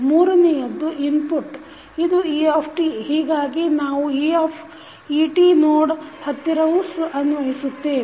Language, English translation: Kannada, Then third one is the input, input is et so we apply at the node et also